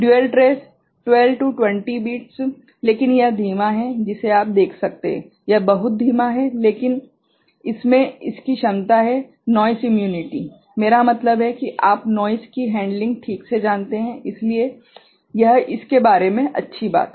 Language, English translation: Hindi, Dual trace 12 20 bits, but it is slower you can see, that is much slower, but it has the capacity of this noise immunity, I mean you know the handling the noise ok; so, that is the good thing about it